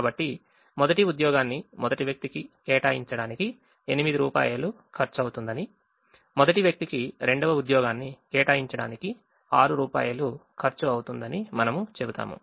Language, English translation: Telugu, so we would say that it costs eight to allocate the first job to the first person, it costs six to allocate the second job to the first person, and so on